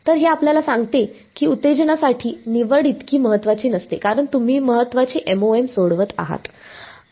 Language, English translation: Marathi, So, this tells us that the choice of excitation is not so crucial as the vein which you are solving MoM